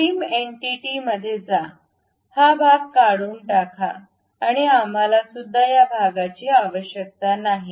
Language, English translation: Marathi, Go to trim entities, remove this part, remove this part and also we do not really require this one also, this one